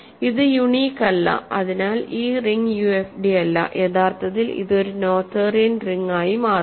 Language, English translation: Malayalam, So, this is not unique and hence this ring is not a UFD right, though actually turns out that this is a Noetherian ring